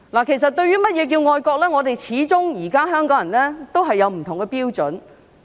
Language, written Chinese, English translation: Cantonese, 其實，對於甚麼是愛國，始終不同的香港人也有不同的標準。, In fact what does it mean to be patriotic? . After all Hong Kong people have varying standards